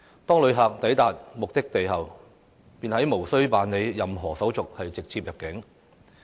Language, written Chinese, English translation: Cantonese, 當旅客抵達目的地後，便無須辦理任何手續直接入境。, When they arrive at the destination they can immediately enter the county without having to go through any procedures again